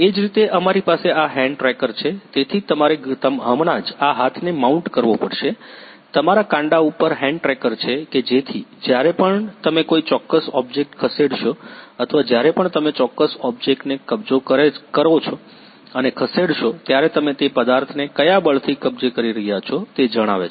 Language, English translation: Gujarati, Similarly we are having this hand tracker, so you just had to mount this hand; hand tracker on your wrist so that whenever you will move certain object or whenever you will capture and move certain object you it can capture what with what force you are capturing that object